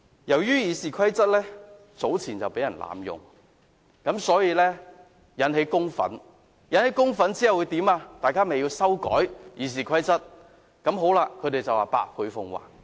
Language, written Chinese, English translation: Cantonese, 由於《議事規則》早前曾被濫用，引起公憤，所以便需要修改《議事規則》，之後他們說會百倍奉還。, As the abuse of the Rules of Procedure in the past aroused anger in the public it was necessary to amend the Rules of Procedure . Then they said they would pay us back a hundred times